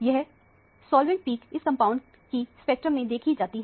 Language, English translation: Hindi, This is a solvent peak is what is seen in the spectrum of this compound